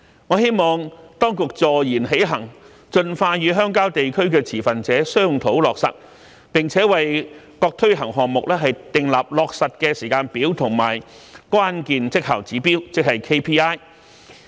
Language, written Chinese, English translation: Cantonese, 我希望當局坐言起行，盡快與鄉郊地區的持份者商討落實，並為各推行項目訂立落實的時間表和關鍵績效指標，即 KPI。, I hope the authorities can take real actions and expeditiously discuss and finalize these initiatives with rural stakeholders and draw up implementation timetables and key performance indicators for these projects